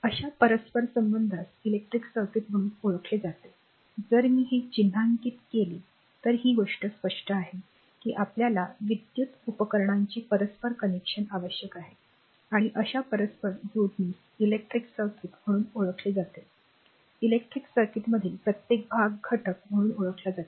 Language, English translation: Marathi, So, and such interconnection is known as an as your as an electric circuit like if I mark it by this, if this thing this plain we require an interconnection of electrical devices and such interconnection is known as an electric circuit right and each component of the electric circuit is known as element